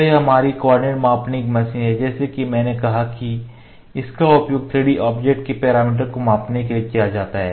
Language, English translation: Hindi, So, this is our coordinate measuring machine, as I said this is used to measure the parameter of 3D objects the objects maybe complex geometry or maybe some specimen